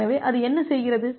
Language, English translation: Tamil, So, what it does